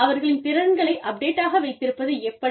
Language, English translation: Tamil, You know, keeping their skills updated